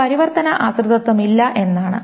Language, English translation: Malayalam, So that means there is no transitive dependency